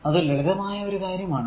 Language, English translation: Malayalam, So, it is simple thing